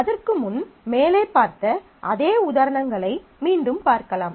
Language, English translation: Tamil, Before that let us just look at the same examples again